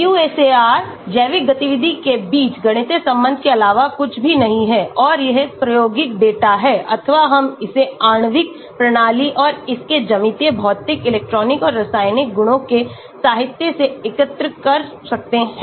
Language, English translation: Hindi, QSAR is just nothing but a mathematical relationship between the biological activity and that is the experimental data, or we can collect it from the literature of a molecular system and its geometric, physical, electronic and chemical properties